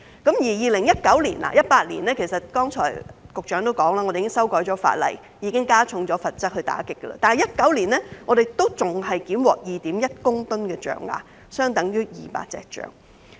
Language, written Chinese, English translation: Cantonese, 正如剛才局長所述，我們已經在2018年修改法例，加重罰則來打擊，但在2019年，我們仍檢獲 2.1 公噸象牙，相等於200隻大象。, As mentioned by the Secretary earlier although Hong Kong increased the penalties through a legislative amendment in 2018 to combat the smuggling of ivory the seizure of 2.1 tonnes of ivory equivalent to 200 elephants was still recorded in 2019